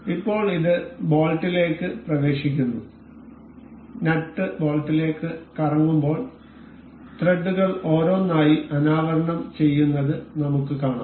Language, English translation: Malayalam, So, now, it enters the bolt and we can see this see the threads uncovering one by one as the nut revolves into the bolt